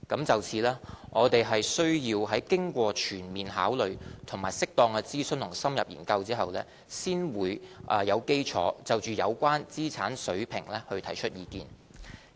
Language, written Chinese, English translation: Cantonese, 就此，我們需要在經過全面考慮，以及適當諮詢與深入研究後，才有基礎就有關資產額水平提出意見。, We will need to go through a process of detailed consideration due consultation and in - depth study for the formulation of the proposed monetary thresholds